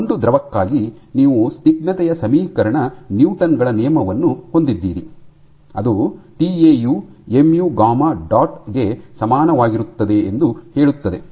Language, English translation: Kannada, For a liquid you have the equation newtons law of the viscosity which says that tau is equal to mu gamma dot